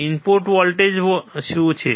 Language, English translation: Gujarati, What is the voltage at the input